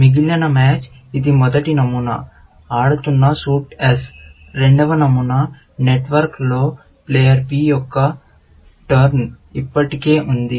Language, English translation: Telugu, The rest of the match, it is the first pattern; the suit being played is S; the second pattern, the turn of player P is already there, in the network